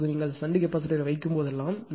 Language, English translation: Tamil, Now whenever you put shunt capacitor